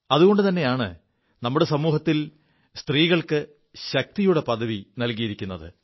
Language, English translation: Malayalam, And that is why, in our society, women have been accorded the status of 'Shakti'